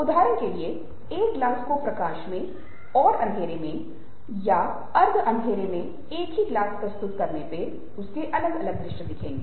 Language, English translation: Hindi, for example, a glass, ah, in light and the same glass in darkness or semi darkness are presented, presenting two different visuals of the same things